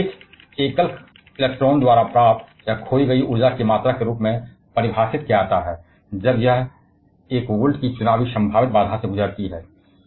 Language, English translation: Hindi, It is defined as the amount of energy gained or lost by a single electron as it passes through an electoral potential barrier of one volt